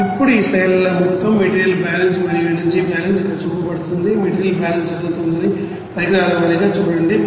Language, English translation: Telugu, Now here in this slides whole material balance and energy balance is shown here, see for equipment wise the material balance is being done